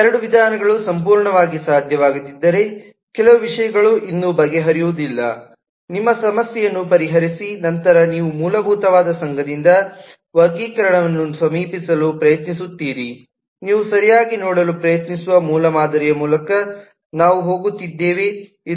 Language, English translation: Kannada, if both these approaches have not been able to completely solve your problem, then you try to approach classification by association, which is the basic approach of we are going by prototype that you try to see